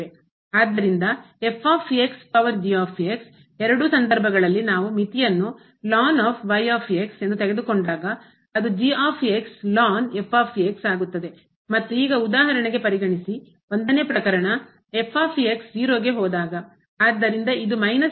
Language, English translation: Kannada, So, power in either case when we take the limit as it will become and now consider for example, the 1st case when goes to 0